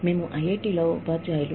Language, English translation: Telugu, We are teachers at IIT